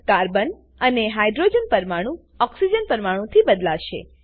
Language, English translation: Gujarati, Carbon and Hydrogen atoms will be replaced by Oxygen atom